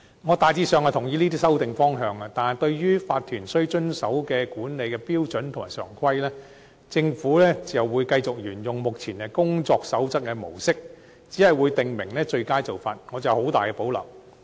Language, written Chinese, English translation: Cantonese, 我大致上同意這些修訂方向，但對於法團須遵守的管理標準和常規，政府會繼續沿用目前"工作守則"的模式，只會訂明最佳做法。, I generally agree to these directions of amendment . But speaking of the management standards and established practices that OCs must follow the Government has said that it will adhere to the existing mode of issuing codes of practice setting out best practices only